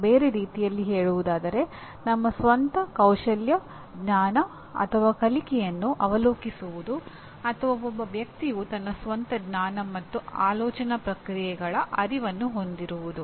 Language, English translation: Kannada, In other words, the ability to assess our own skills, knowledge, or learning or another way defined, a person’s awareness of his or her own level of knowledge and thought processes